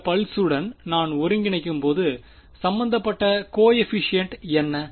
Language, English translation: Tamil, When I integrate over this pulse what is the coefficient involved